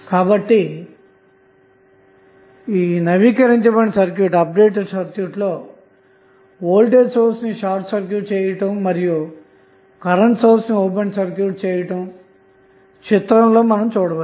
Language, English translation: Telugu, So, again the turned off means the voltage source would be short circuited and the current source would be open circuited